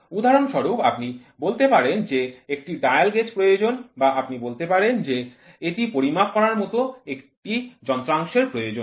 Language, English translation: Bengali, For example, you can say a dial gauge is required or you say that here is a component which is something like this to measure